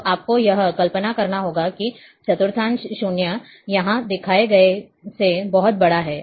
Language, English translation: Hindi, So, you have to imagine that, quadrant 0, is much larger then what is shown here